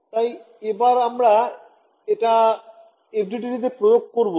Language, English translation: Bengali, So, we want to impose this in FDTD ok